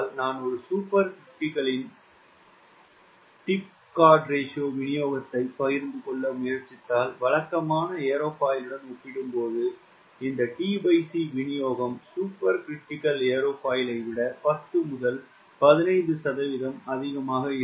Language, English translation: Tamil, if i try to share t by c distribution of a supercritical aerofoil as compared to the convention aerofoil, you say t by c distribution for super critical aerofoil will be ten to fifteen percent more than a convention aerofoil